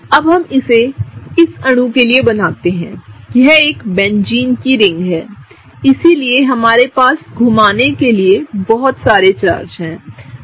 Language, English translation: Hindi, Now, let us draw it for this molecule; this is a Benzene ring, so we have a lot of charges to move around